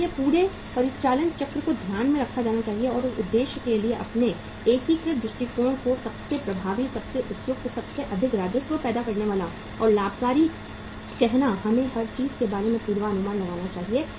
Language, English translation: Hindi, So entire operating cycle has to be taken into account and for that purpose to make your integrated approach most effective, most suitable, most revenue generating and the say profitmaking we should forecast about everything